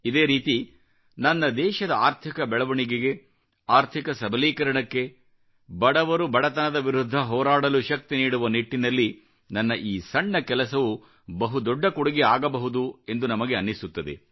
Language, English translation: Kannada, In the same way today we may feel that even by making a tiny contribution I may be contributing in a big way to help in the economic upliftment and economic empowerment of my country and help fight a battle against poverty by lending strength to the poor